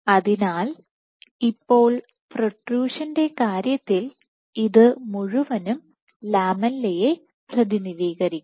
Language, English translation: Malayalam, So, now, in the case of protrusion this whole thing will represent the lamella